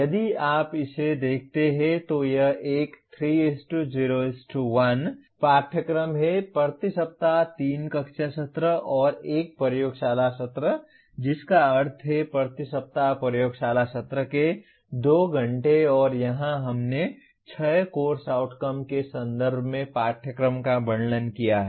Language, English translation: Hindi, If you look at this it is a 3:0:1 course; 3 classroom sessions and 1 laboratory session per week which means 2 hours of laboratory session per week and here we have described the course in terms of 6 course outcomes